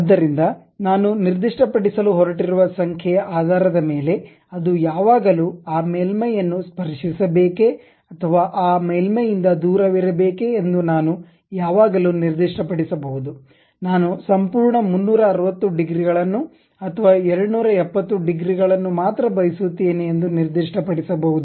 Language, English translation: Kannada, So, based on the number what I am going to specify uh I can always specify whether it should really touch that surface or should away from that surface also whether I would like to have complete 360 degrees or only 270 degrees